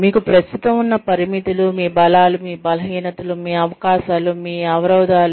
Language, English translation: Telugu, That you have currently, your limitations, your strengths, your weaknesses, your opportunities, your threats